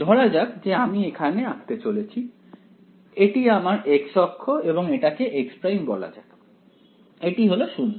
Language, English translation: Bengali, So, let us say is plot it over here right, so this is my x axis and let us say this is x prime, this is my 0